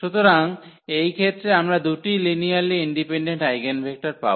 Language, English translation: Bengali, So, we got this two linearly independent eigenvector